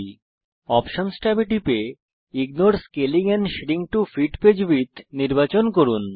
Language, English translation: Bengali, Click the Options tab and select Ignore Scaling and Shrink To Fit Page Width